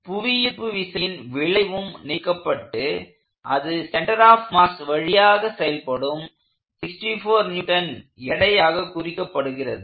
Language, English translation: Tamil, And the gravitational pull is also being removed, and that results in a 64 Newtons force acting through the mass center